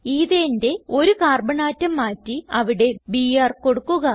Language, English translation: Malayalam, Replace one Carbon atom of Ethane with Br